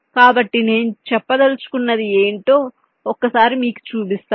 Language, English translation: Telugu, so what i mean to say is that let me just show you once